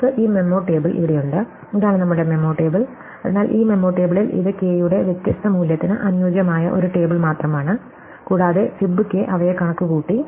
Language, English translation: Malayalam, So, we have this memo table here, so this is our memo table, so in this memo table it is just a table where we fit different value of k and fib k as we compute them